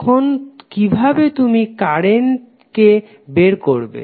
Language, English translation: Bengali, Then how you will calculate the current